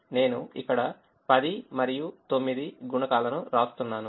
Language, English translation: Telugu, so i am just writing the coefficients ten and nine here